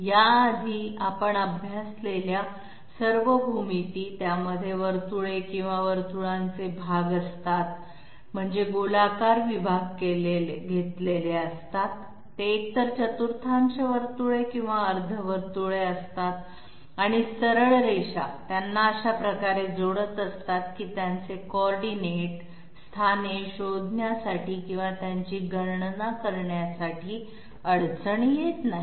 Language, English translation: Marathi, Previously, all the geometries that we have studied, they are containing circles or parts of circles I mean circular segments which are taken, they are either quarter circles or half circles and straight lines are you know connecting them up in such a way is not difficult to find out or compute their coordinate, their end coordinate locations, let me give you an example on this piece of paper okay